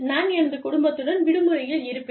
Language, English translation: Tamil, I will take a vacation with my family